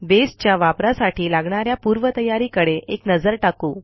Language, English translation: Marathi, Let us look at the Prerequisites for using Base